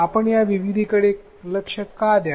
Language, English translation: Marathi, Why should we address this diversity